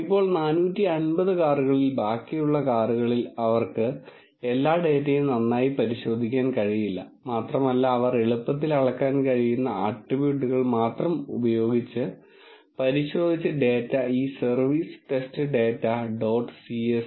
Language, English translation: Malayalam, Now, for the rest of the cars among the 450, they cannot thoroughly check all the data and they have checked only those attributes which are easily measurable and they have given them in this service test data dot csv